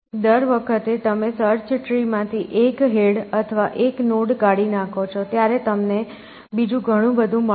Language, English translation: Gujarati, Every time, you cut one head or one node from the search tree, you get many more